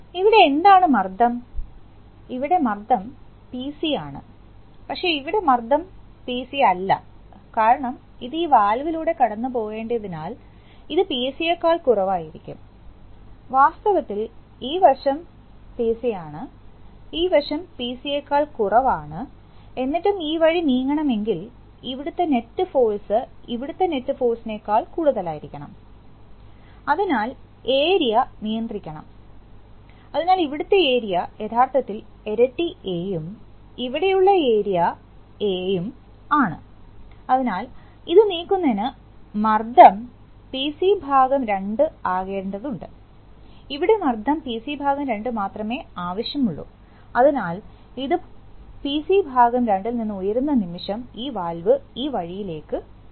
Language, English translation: Malayalam, So you see that, here what is the pressure, here the pressure is PC but here the pressure is not PC because it has to drop through this valve so this is going to be less than PC, in fact so then, if this side is PC and if there is and if this side is less than PC and still this has to move this way then the net force here has to be more than the net force here, therefore the areas must be controlled, so the area here is actually twice A and the area here is A, so for moving this pressure is only required to be PC by 2, the pressure here is only required to by PC by 2, so the moment this rises above PC by 2, this valve will shift this way, now when this valve will shift this way